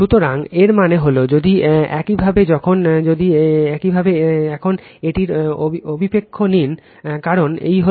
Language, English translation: Bengali, So, that means if you now if you now take the projection of this one, because this is V p, this is V p